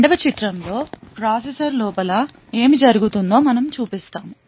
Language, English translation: Telugu, In the second figure what we show is what happens inside the processor